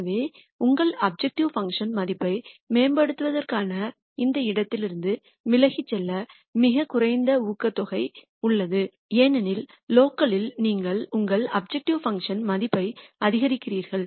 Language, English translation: Tamil, So, there is very little incentive to improve your objective function value, sorry a very little incentive to move away from this point because locally you are increasing your objective function value